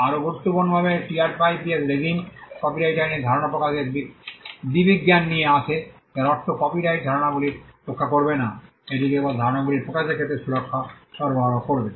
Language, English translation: Bengali, More importantly the TRIPS regime brought the idea expression dichotomy in copyright law which means copyright will not protect ideas; it will only offer protection on expression of ideas